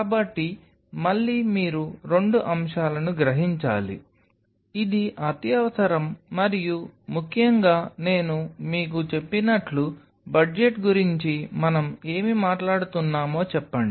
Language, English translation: Telugu, So, again you have to realize couple of a stuff, it is the neck requirement and most importantly as I told you say about the budget what are we talking about